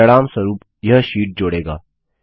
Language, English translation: Hindi, This will insert the sheet accordingly